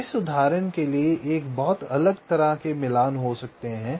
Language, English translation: Hindi, so, for this example, there can be a so much different kind of matchings